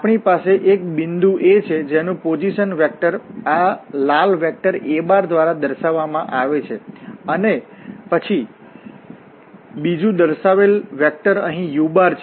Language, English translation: Gujarati, So, this is the situation here we have a point A, whose position vector is given by this red vector a and then there is another vector given which is u here